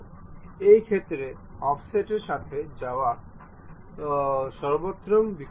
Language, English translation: Bengali, In this case, offset is the best option to really go with